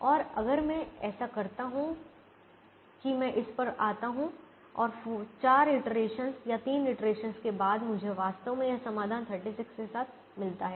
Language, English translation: Hindi, and if i do that i come to this and after four iterations or three iterations, i actually get this solution with thirty six